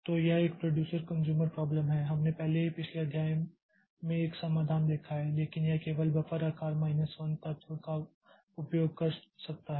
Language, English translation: Hindi, So, this producer consumer problem, there we have already seen a solution in the previous chapter, but it can only use buffer size minus one element